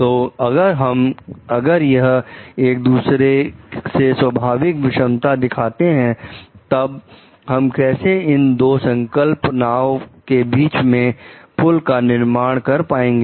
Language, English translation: Hindi, So, if these are appearing to be contrasting in nature, so then how do we build a bridge between these two concepts